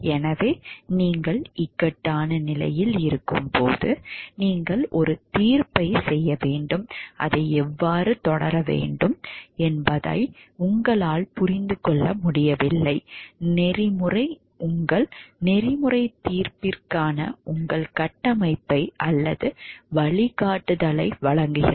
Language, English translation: Tamil, So, when you are in a point of dilemma, you have to make a judgment and you are not able to understand how to proceed for it, code of ethics provides your framework, or guideline to for your ethical judgment